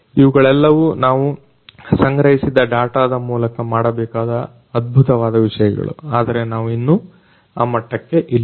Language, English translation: Kannada, So, all of these different things can be fascinating things can be done with the data that are collected, but this is we are still not there yet